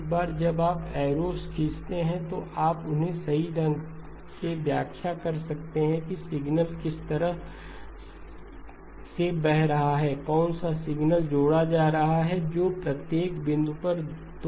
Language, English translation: Hindi, Once you draw the arrows, you can interpret them correctly, which way the signal is flowing, which signal is getting added, which 2 signals are getting added at each point